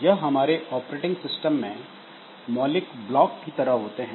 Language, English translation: Hindi, So, these are the fundamental blocks that we have in any operating system